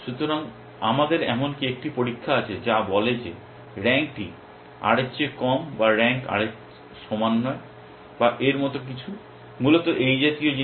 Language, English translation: Bengali, So, we even have a test which says that the rank is less than r or rank not equal to r or something like, things like that essentially